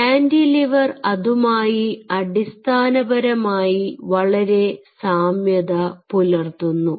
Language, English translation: Malayalam, cantilever are essentially a very closest analogy